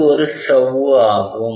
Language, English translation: Tamil, So, this is a membrane